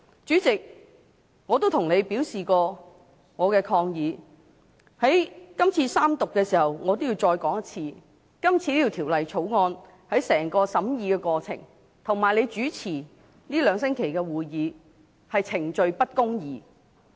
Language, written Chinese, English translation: Cantonese, 主席，我已向你表示過我的抗議，現在三讀的時候，我要再說一次，今次就《條例草案》的整個審議過程，以及你主持這兩星期的會議，是程序不公義。, President I have already raised my protest to you . At this time during the Third Reading of the Bill I have to voice my protest again . Procedural injustice is found in the whole process of deliberating the Bill and in the meetings of these two weeks chaired by you